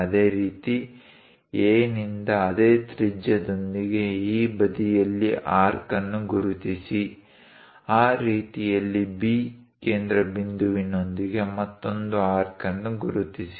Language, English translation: Kannada, Similarly, from A; mark an arc on this side, with the same radius; mark another arc with the centre B in that way